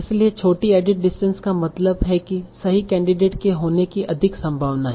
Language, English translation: Hindi, So, smaller added distance means that is more likely to be the correct candidate